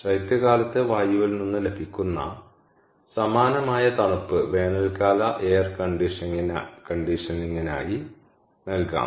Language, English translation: Malayalam, and similarly, cold obtained from winter air can be provided for summer air conditioning